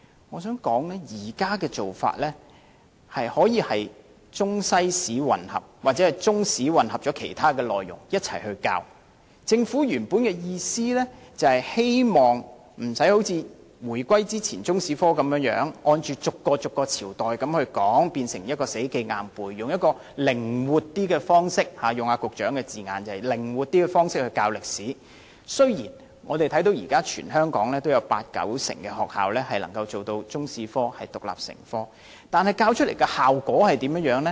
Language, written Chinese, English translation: Cantonese, 我想指出，現時容許中、西史混合，或中史混合其他學科一同教授，政府的原意是希望中史科不用像回歸前那樣，逐個朝代去教，學生要死記硬背，而用一個比較靈活的方式教授歷史，如此一來，雖然全香港現時約有八九成學校能將中史獨立成科，但教授的效果如何？, I wish to point out according to the Secretary in allowing Chinese History and World History to be taught as a combined subject or the integration of Chinese History into other subjects the Government hoped that Chinese History could be taught in a more flexible way instead of adopting the same approach as that before the unification that is teaching each dynasty in a chronological order and asking students to memorize all information . As such although about 80 % to 90 % of schools in Hong Kong continue to teach Chinese history as an independent subject what is the result?